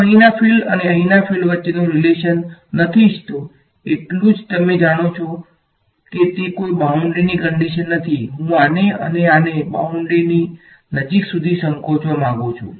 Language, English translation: Gujarati, I do not want the relation between field here and field here that is all you know you it is not a boundary condition I want to shrink these guys these guys down to as close to the boundary